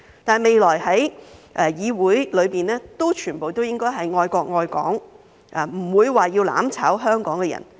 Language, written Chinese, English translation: Cantonese, 但是，未來在議會內，全部都應該是愛國愛港，不會是要"攬炒"香港的人。, However in the future all the members of the legislature should be people who love our country and Hong Kong rather than those who want to burn with Hong Kong